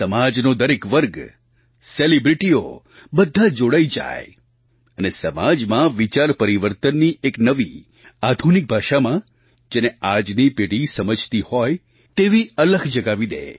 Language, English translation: Gujarati, Every section of the society including celebrities joined in to ignite a process of transformation in a new modern language of change that the present generation understands and follows